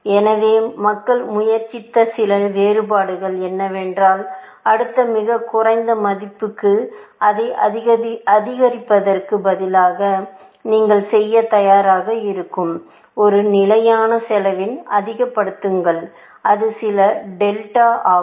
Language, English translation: Tamil, So, some variations that people have tried is that; instead of incrementing it by to the next lowest unseen value, increment it by a fixed cost, that you are willing to bear, essentially; some delta